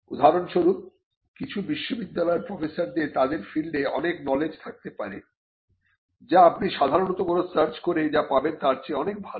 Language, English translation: Bengali, For instance, some university professors may have cutting edge knowledge about their field which would be much better than what you would normally get by doing a search report